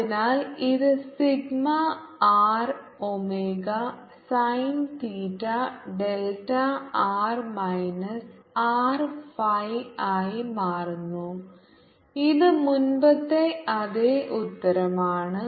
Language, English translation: Malayalam, so this is becomes sigma r, omega, sin theta, delta, r minus r, phi, which is need the same answer as ear list